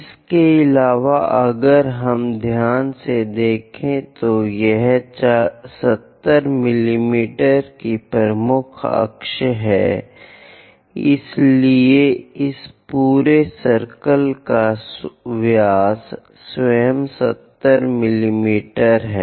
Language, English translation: Hindi, And if we are seeing carefully because this is 70 mm major axis, so the diameter of this entire circle itself is 70 mm